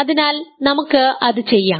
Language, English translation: Malayalam, So, let us do that